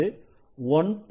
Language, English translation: Tamil, 5 it is at 1